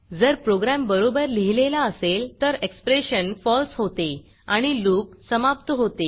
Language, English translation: Marathi, If the program is written well, the expression becomes false and the loop is ended